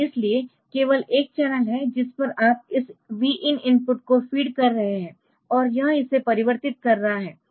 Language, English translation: Hindi, So, there is only one channel on which you are feeding this Vin input and this is converting that